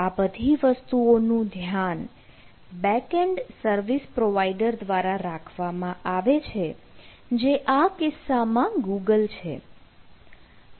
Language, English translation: Gujarati, so all those things are taken care by the backend service provider, in this case google